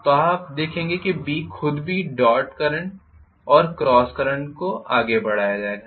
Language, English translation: Hindi, So you would see that B itself will be carrying dot current and cross current and so on and so forth